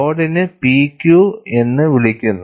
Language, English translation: Malayalam, And the load is referred as P Q